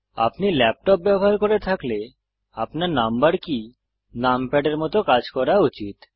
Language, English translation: Bengali, If you are using a laptop, you need to emulate your number keys as numpad